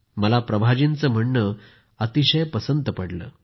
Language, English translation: Marathi, " I appreciate Prabha ji's message